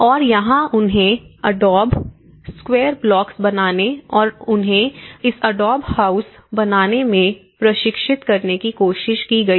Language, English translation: Hindi, And here, what they did was they tried to train them making adobe square blocks and train them in making this adobe houses